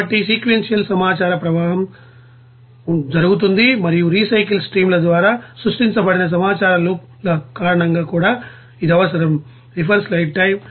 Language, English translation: Telugu, So that you know sequential information flow takes place and also it is required because of loops of information created by you know recycle streams